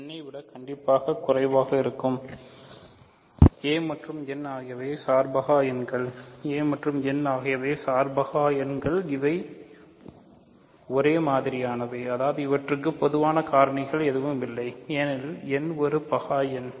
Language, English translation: Tamil, Since n is prime and a is a positive number strictly less than n, a and n are co prime or relatively prime; a and n are relatively prime or co prime, these are they mean the same; that means, they have no common factors because n is a prime number